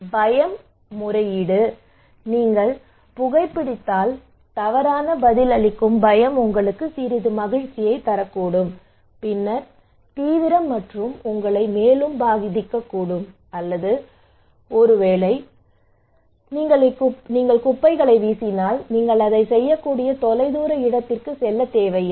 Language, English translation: Tamil, So fear appeal, the fears of maladaptive response okay like if you are smoking that may gives you some pleasure and then severity it can also have some kind of vulnerability making you more vulnerable, or maybe if you are throwing garbage, maybe you do not need to go to distance place you can just do it at your close to your house